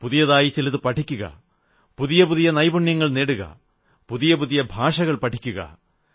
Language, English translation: Malayalam, Keep learning something new, such as newer skills and languages